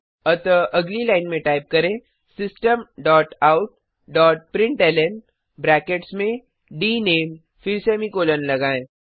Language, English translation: Hindi, So next line Type System dot out dot println within brackets dName then semicolon